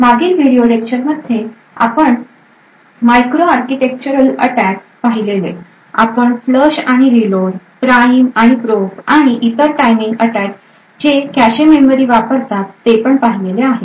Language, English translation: Marathi, So, in the previous video lectures we had looked at micro architectural attacks, we had looked at flush and reload, the prime and probe and other such timing attach which uses the cache memory